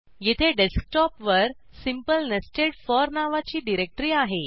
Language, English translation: Marathi, Here is a directory on the Desktop named simple nested for